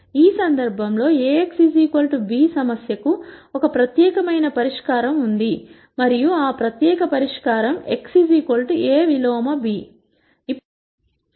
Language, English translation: Telugu, In this case there is a unique solution to the Ax equal to b problem, and that unique solution is x equal to A inverse b